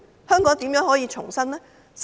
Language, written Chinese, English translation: Cantonese, 香港如何重生？, Will there be a rebirth of Hong Kong?